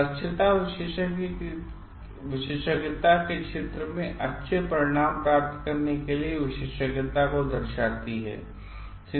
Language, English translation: Hindi, Competence depicts the expertise to achieve good outcomes in domain of expertise